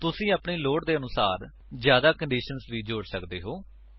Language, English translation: Punjabi, You can also add more conditions based on your requirement